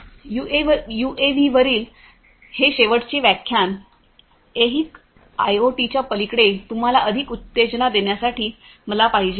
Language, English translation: Marathi, So, this last lecture on UAVs is something that I wanted to have in order to excite you more beyond the terrestrial IoT